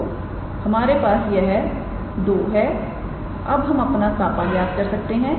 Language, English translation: Hindi, So, we have these 2, now we can calculate our kappa